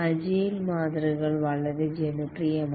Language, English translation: Malayalam, The agile models have become very popular